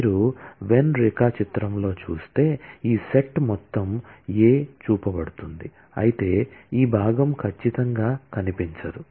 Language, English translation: Telugu, If you see in the Venn diagram, the whole of this set, A is shown whereas, this part certainly will not feature